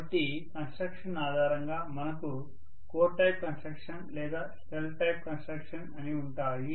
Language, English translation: Telugu, So based on construction we may have something called core type construction or shell type construction